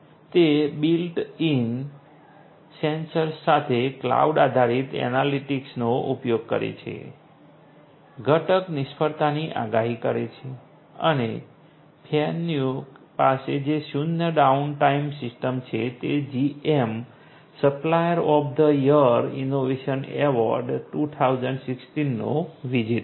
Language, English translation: Gujarati, It uses cloud based analytics with built in sensors, predicts component failure and the zero downtime system that Fanuc has is the winner of the GM Supplier of the Year Innovation Award 2016